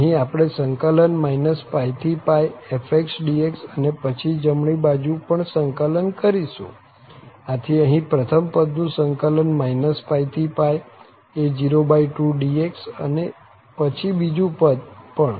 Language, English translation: Gujarati, We are integrating here minus pi to pi fx dx and then, we are integrating the right hand side also, so the first term here is integrated from minus pi to pi, a0 by 2 dx, and then the second term also